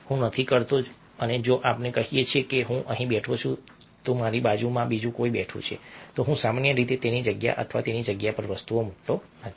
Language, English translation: Gujarati, and if, let say, i am sitting over here and somebody else sitting next to me, i generally don't put things on his space or her space